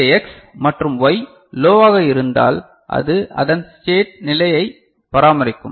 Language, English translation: Tamil, And when this X and Y are, you know low then it will maintain its state